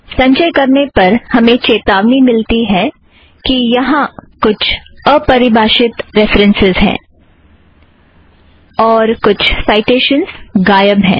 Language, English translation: Hindi, On compilation, we get the warning message that there are some undefined references, some citations are missing